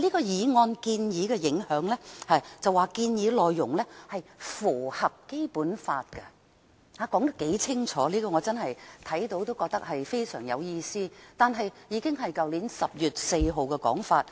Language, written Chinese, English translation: Cantonese, 在"建議的影響"部分，它表示"建議符合《基本法》"，說得多麼清楚，我看到後真的覺得非常有意思，但這已是去年10月4日的說法。, In Implications of the Proposal it reads The proposal is in conformity with the Basic Law . It was stated so clearly . After reading it I really found it quite interesting but this point was already made on 4 October last year